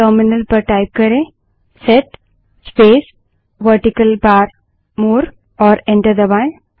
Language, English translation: Hindi, Type at the terminal set space pipeline character more and press enter